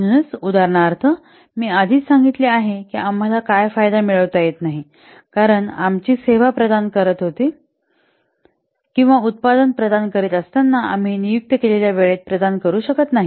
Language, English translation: Marathi, So, for example, as I have already told you, we are not able to what, get the benefit because our service we are providing or the product we are providing, we are not able to provide in the designated time